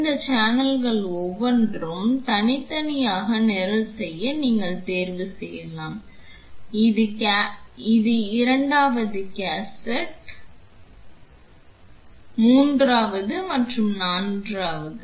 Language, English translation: Tamil, You can choose to program each of these channel independently this is the 2nd cassette, 3rd and then the 4th